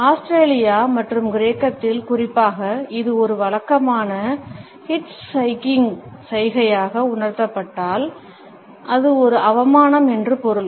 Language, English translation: Tamil, In Australia and Greece, particularly if it is thrust up as a typical hitchhiking gesture; it means an insult